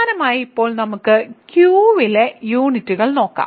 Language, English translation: Malayalam, So, similarly now let me look at units in let us say Q